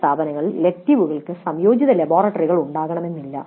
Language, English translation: Malayalam, Then in some institutes the electives are not supposed to be having any integrated laboratories